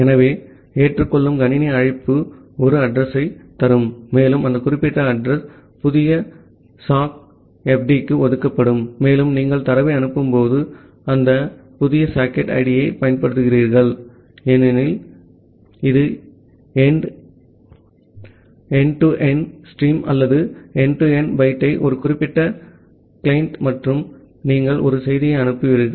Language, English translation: Tamil, So, the accept system call will return an address and that particular address will be assigned to the new sock fd and while you are sending the data you use that new socket id because that has created end to end stream or end to end pipe to a specific client and you will send a message